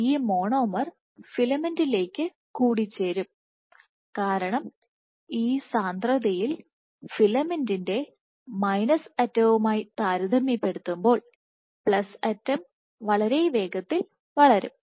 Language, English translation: Malayalam, So, this monomer will get added to the filament, because this at this concentration the filament will grow at a much faster rate in the plus end compared to the minus end